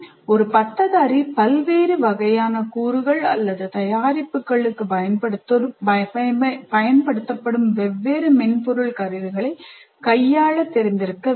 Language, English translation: Tamil, So a graduate should know maybe different software tools that are used for different kind of elements or products that a graduate needs to deal with